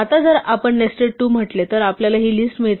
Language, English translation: Marathi, Now if we say nested 2 we get this list